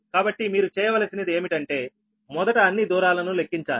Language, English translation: Telugu, so you have to calculate first all the distances right